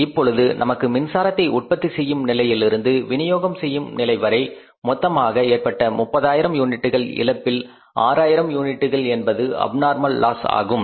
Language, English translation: Tamil, Now we have found out that out of the total 30,000 units lost in the process from the generation to distribution about 6,000 units loss is abnormal loss